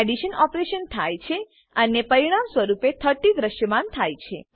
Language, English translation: Gujarati, The addition operation is performed and the result 30 is displayed